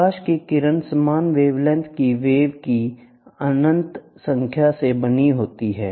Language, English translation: Hindi, A ray of light is composed of an infinite number of waves of equal wavelength